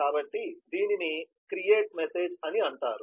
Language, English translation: Telugu, so this is called a create message